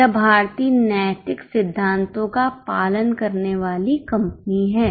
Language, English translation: Hindi, They are very much a company following Indian ethical principles